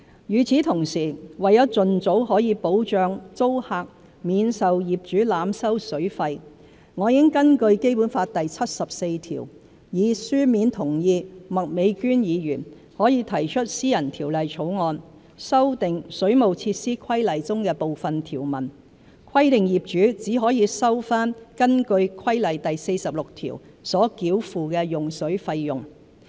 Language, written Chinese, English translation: Cantonese, 與此同時，為盡早可保障租客免受業主濫收水費，我已根據《基本法》第七十四條，以書面同意麥美娟議員可提出私人條例草案，修訂《水務設施規例》中的部分條文，規定業主只可收回根據規例第46條所繳付的用水費用。, Meanwhile to protect tenants from being overcharged by landlords for use of water as soon as possible I have in accordance with Article 74 of the Basic Law given my written consent to Ms Alice MAK for submitting a private bill to amend some provisions in the Waterworks Regulations . The amendments will stipulate that landlords can only recover the charges for water as prescribed in regulation 46 of the above Regulations